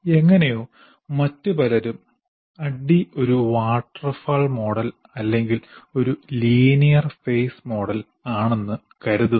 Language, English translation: Malayalam, And somehow many other people have considered that this is a waterfall model or a linear phase model